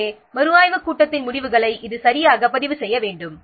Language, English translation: Tamil, So the results of the review meeting they should be properly recorded